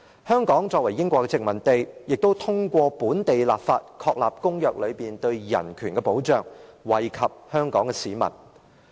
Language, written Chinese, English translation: Cantonese, 香港作為英國的殖民地，亦通過本地立法，確立公約內對人權的保障，惠及香港市民。, Being a colony of the United Kingdom Hong Kong effected the protection of human rights in the treaties through local legislation benefiting the people of Hong Kong . Hong Kong is certainly not a state